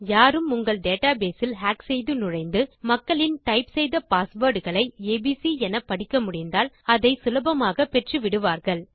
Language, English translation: Tamil, Now if you say someone hacked into your database and finds out peoples passwords which is typed in as abc, they will be able to get it easily